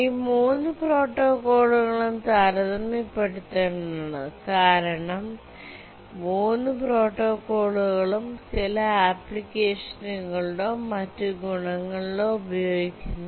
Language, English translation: Malayalam, Now let's compare these three protocols that we looked at because all the three protocols are used in some application or other depending on their advantages